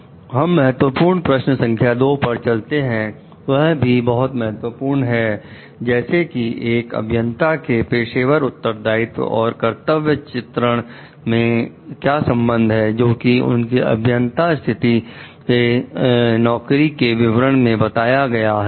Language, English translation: Hindi, Next, we will move on to the Key Question 2 which is also very important like what is the relationship between an engineer s professional responsibilities and the duties delineated in that in the job description for that engineers position